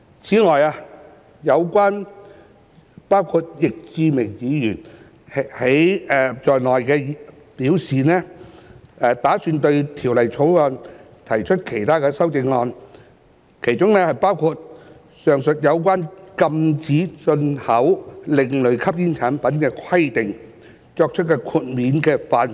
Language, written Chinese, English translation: Cantonese, 此外，有包括易志明議員在內的議員曾表示，打算對《條例草案》提出其他修正案，當中包括上述有關禁止進口另類吸煙產品的規定作出豁免的範圍。, Moreover certain Members including Mr Frankie YICK have indicated their intention to propose other amendments to the Bill which include the scope of exemption from the prohibition on the import of ASPs mentioned above